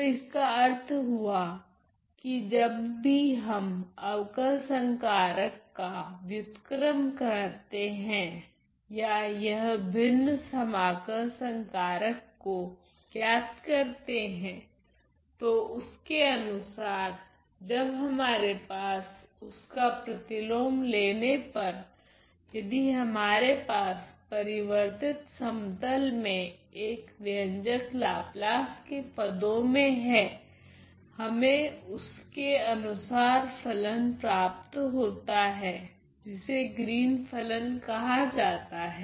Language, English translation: Hindi, So, which means that whenever we have inverted a derivative operator or evaluating a fractional integral operator corresponding to that we will have if we will have an expression in the Laplace in the transform plane when we take the inverse of that are going to get the corresponding function known as the Green’s function